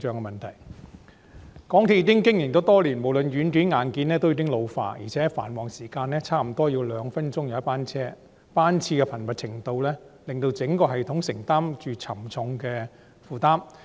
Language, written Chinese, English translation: Cantonese, 港鐵公司已經營多年，無論軟件和硬件均已老化，而且繁忙時間約2分鐘一班車，班次的頻密程度令整個系統的負擔沉重。, After years of operation both the software and hardware of MTRCL have become aged . Moreover during the peak hours the train frequency stands at about two minutes . Such a high frequency has imposed a heavy burden on the entire system